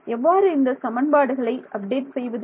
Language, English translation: Tamil, So, this is our update equation